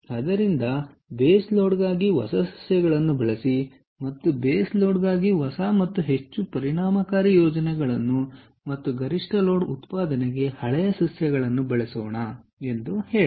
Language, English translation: Kannada, so lets write that: use newer plants for base load, ok, newer and more efficient plans for base load and older plants for peak load generation, ok